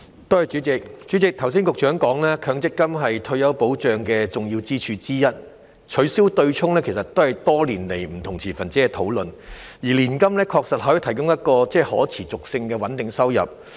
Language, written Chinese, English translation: Cantonese, 代理主席，剛才局長說強積金是退休保障的重要支柱之一，取消"對沖"其實是不同持份者多年來討論的焦點，而年金確實可以提供具可持續性的穩定收入。, Deputy President the Secretary has earlier said that MPF is one of the important pillars of retirement protection that the abolition of the offsetting arrangement has actually been the focus of discussion among various stakeholders over the years and that annuities can indeed provide a sustainable and stable income